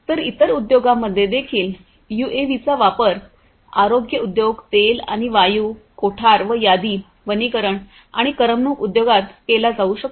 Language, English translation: Marathi, So, in the other industries also UAVs could be used healthcare industry oil and gas, warehousing and inventory, forestry and entertainment industry